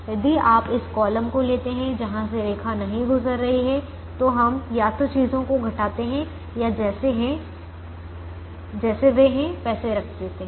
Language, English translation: Hindi, if you take this column where line is not passing through, then we either subtract or keep things as they are